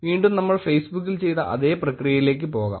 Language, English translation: Malayalam, Again, we will go though the same process as we did in Facebook